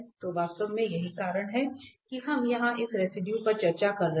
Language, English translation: Hindi, So, indeed this is exactly the point why we are discussing this residue here